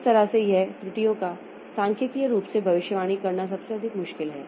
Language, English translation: Hindi, So, that way it is most of the errors are difficult to predict statically